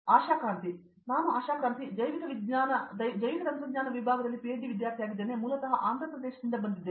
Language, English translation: Kannada, I am Asha Kranthi, I am a PhD student in Biotechnology Department and I am basically from Andra Pradesh